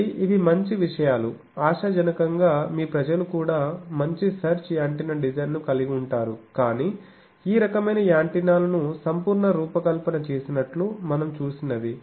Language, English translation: Telugu, So, these are promising things, hopefully your people also will have better search antenna design, but basics whatever we have seen that absolute designed these type of antennas